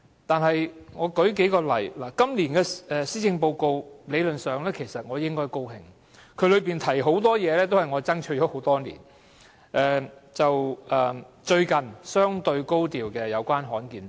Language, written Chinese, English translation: Cantonese, 對今年的施政報告，理論上我應感到高興，當中有許多事情均是我爭取了很多年的，讓我舉數個例子說明。, Regarding the Policy Address this year I should be glad about it theoretically for many of the measures therein are measures for which I have been striving for years . Let me cite a few examples